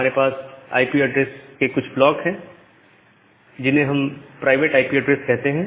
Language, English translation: Hindi, So, we have certain block of IP addresses which we call as the private IP addresses